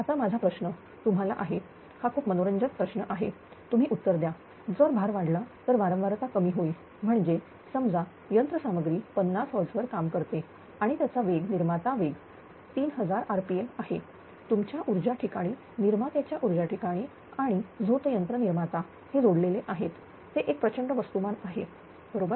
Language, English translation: Marathi, Now, question is my question is to you it is very interesting question you should answer that if load increases right, then frequency will fall; that means, suppose suppose, machine was operating at your 50 hertz say its speed is a generator speed is 3000 rpm at the your power station generating power station and turbine generator is coupled together, it is a huge mass, right